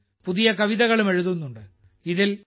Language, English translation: Malayalam, Many people are also writing new poems